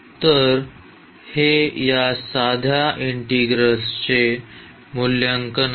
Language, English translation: Marathi, So, that is the evaluation of this simple integral